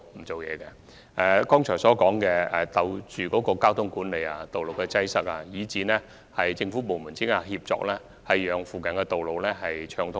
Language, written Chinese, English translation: Cantonese, 正如我剛才提及，我們會繼續跟進交通管理、道路擠塞，以及政府部門之間的協作，務求保持附近道路暢通。, As I just mentioned we will continue to follow up the issues of traffic management road congestion and collaboration among government departments in order to maintain smooth traffic on the road nearby